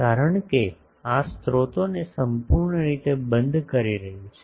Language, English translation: Gujarati, Because this is completely enclosing the sources